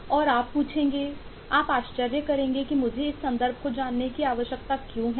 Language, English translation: Hindi, you will ask and you will wonders why i need to know this context